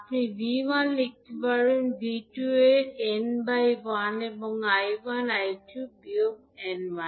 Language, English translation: Bengali, You can write V1 is nothing but 1 by n of V2 and I1 is minus n of I2